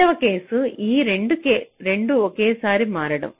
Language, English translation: Telugu, second case is that both are switching together